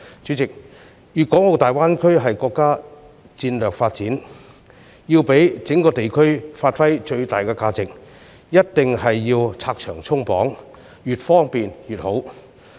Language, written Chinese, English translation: Cantonese, 主席，粵港澳大灣區是國家戰略發展，要讓整個地區發揮最大價值，便一定要拆牆鬆綁，越方便越好。, President the development of the Guangdong - Hong Kong - Macao Greater Bay Area is a national strategy and in order to maximize the development value of the entire region efforts should be made to remove barriers and the more convenient the better